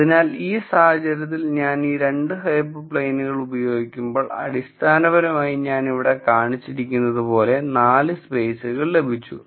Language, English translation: Malayalam, So, in this case when I use this 2 hyper planes I got basically 4 spaces as I show here